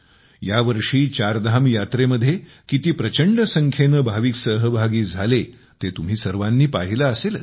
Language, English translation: Marathi, You must have seen that this time a large number of devotees participated in the Chardham Yatra